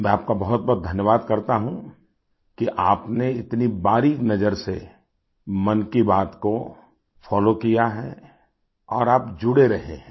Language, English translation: Hindi, I express my gratitude to you for following Mann ki Baat so minutely; for staying connected as well